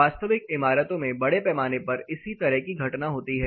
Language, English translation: Hindi, The similar phenomena happen in a large scale in actual buildings